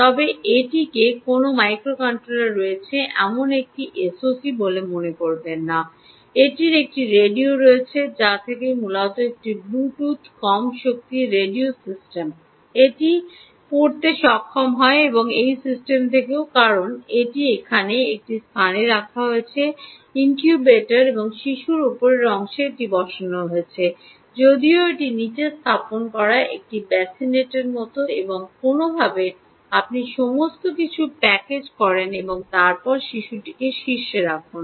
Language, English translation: Bengali, but never mind, this is a s o c which has a microcontoller and it has a radio which, from which is a essentially a bluetooth low energy radio system, it is able to read from this as well as from this system, because this is now actually placed in a incubator and the baby is placed on top of this right though this is like a bassinet which is placed below and somehow you package everything and then you place the baby on top